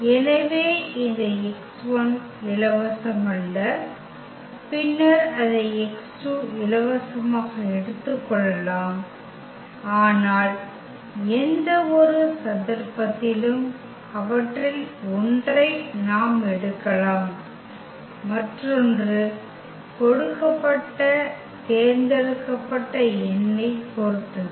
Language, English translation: Tamil, So, this x 1 is not free and then we can take as x 2 free, but any case in any case we can take any one of them and the other one will depend on the given chosen number